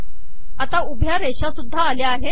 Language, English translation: Marathi, So now the vertical lines have also come